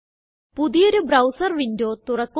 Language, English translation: Malayalam, Open a new browser window